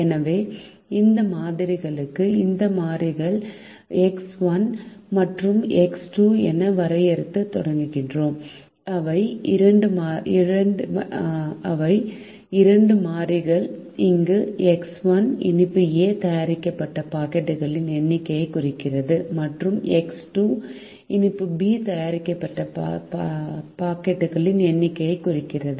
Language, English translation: Tamil, so we start defining this variables to this problem as x one and x two, which are two variables where x one represents the number of packets of sweet a made and x two represents the number of packets sweet b made and in general we could say x one x two would represent the number or the quantity of the products that are being made now by making sweets and by selling them